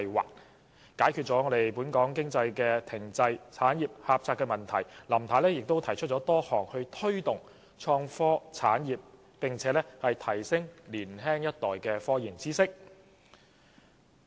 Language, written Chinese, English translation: Cantonese, 為了解決本港經濟停滯、產業狹窄的問題，林太又提出多項措施推動"創科產業"，以及提升年青一代的科研知識。, In order to resolve problems of economic stagnancy and the narrow industrial base Mrs LAM also proposed a number of initiatives to take forward innovation and technology industries and upgrade the knowledge of the young generation in scientific research